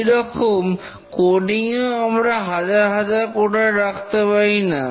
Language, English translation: Bengali, Similarly, coding, we cannot deploy thousands of coders